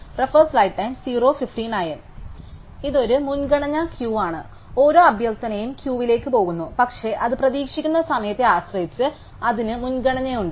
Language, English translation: Malayalam, So, this is a priority queue, each request goes into the queue, but it has a priority depending on the expected time that it is going to take place